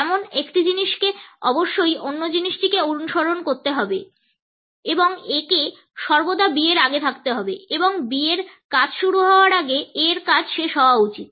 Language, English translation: Bengali, One thing has to follow the other and A should always precede B and A should end before the task B begins